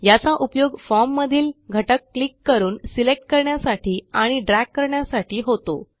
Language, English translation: Marathi, This is used for selecting form elements by clicking and dragging